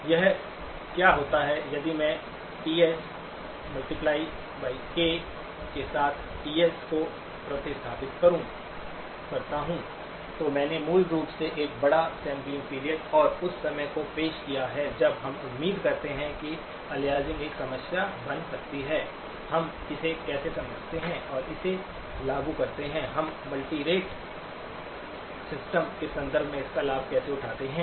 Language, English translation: Hindi, Or what happens if I replace TS with TS times k, I basically have introduced a larger sampling period and the times when we expect that aliasing may become a problem, how do we understand and implement it in terms; how do we take advantage of it in the context of a multirate system